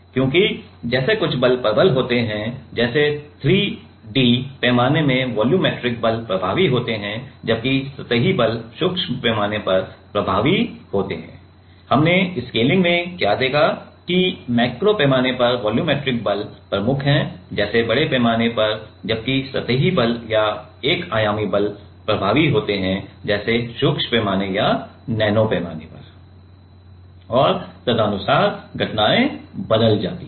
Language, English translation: Hindi, Because, like some forces are dominant, like the volumetric forces are dominant in 3D scale whereas, like the surface forces are dominant in micro scale; what we have seen in scaling that the volumetric forces are dominant in the macro scale like in bigger scale right; whereas, the surface forces or one dimensional forces are dominant in like micro scale or nano scale and accordingly, the phenomena changes